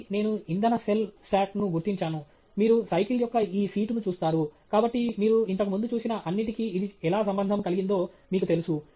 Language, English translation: Telugu, Again, I have marked a fuel cell stack, you do see this seat of the bicycle, so you know how it is relates everything else that you previously saw